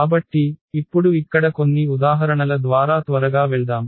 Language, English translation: Telugu, So, now let us just quickly go through some examples here